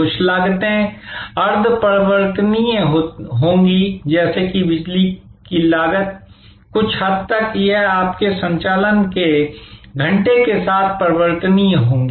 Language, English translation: Hindi, There will be some of the costs are semi variable like the electricity cost, to some extent it will be variable with respect to your hours of operation and so on